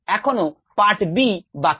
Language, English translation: Bengali, we still have part b left